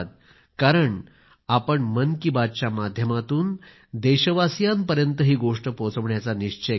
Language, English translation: Marathi, Today, through the Man Ki Baat program, I would like to appreciate and thank my countrymen